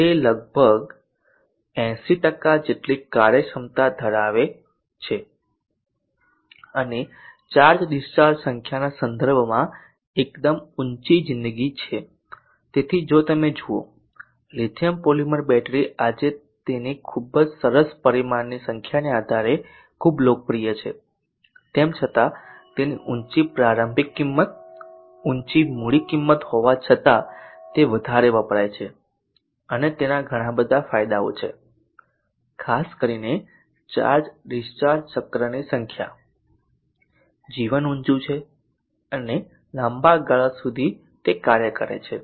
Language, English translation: Gujarati, It has a watt over efficiency of around 80% and quite high life in terms of number of charged discharged cycles around 10000 so if you see the lithium polymer battery is very popular today because of its very nice numbers that it has so the various parameters and even though it has a high initial cost high capital cost it is compact and has a lot of advantages especially the number of charged discharged cycles the life being high